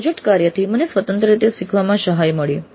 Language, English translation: Gujarati, Then project work helped me in pursuing independent learning